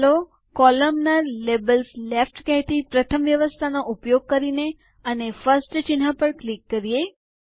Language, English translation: Gujarati, Let us use the first arrangement that says Columnar – Labels left and click on the first icon